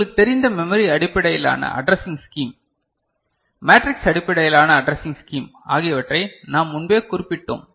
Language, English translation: Tamil, And we have already noted the memory you know based addressing scheme, matrix based addressing scheme before